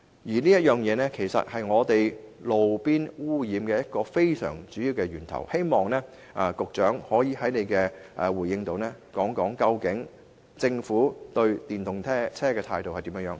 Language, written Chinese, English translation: Cantonese, 汽車排放其實是路邊空氣污染的主要源頭，我希望局長稍後可以回應政府對電動車的取態為何。, Vehicular emission is actually a major source of roadside air pollution . I hope the Secretary can give a reply on the Governments stance on electric vehicles later on